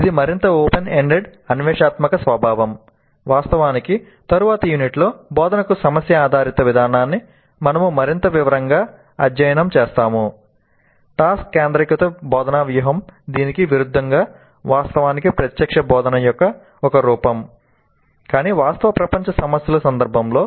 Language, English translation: Telugu, Task centered instructional strategy by contrast is actually a form of direct instruction but in the context of real world problems